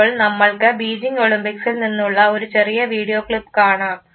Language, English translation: Malayalam, Let us now see these small video clips from the Beijing Olympics